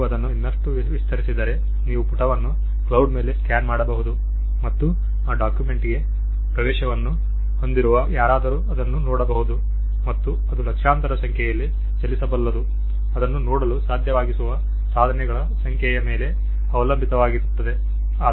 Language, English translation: Kannada, If you even stretch it further, you could scan the page put it on cloud and anybody who has access to that document could see it and that could run into millions are as many devices you have you could to see that